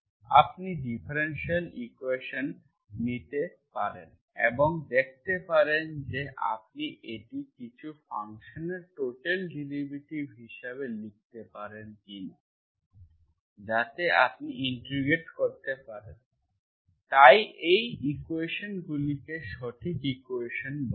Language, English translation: Bengali, you can write, you can take the differential equation, see whether you can write it as a total derivative of some function, so you integrate, so such an equations are called exact equations